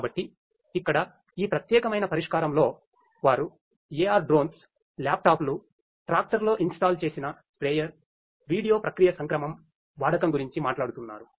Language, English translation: Telugu, So, here in this particular solution they are talking about the use of AR Drones, laptops, a sprayer installed in the tractor, video processing modules